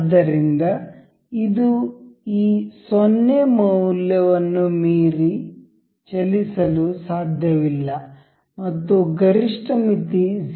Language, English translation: Kannada, So, it cannot move beyond this 0 value and maximum limit was 0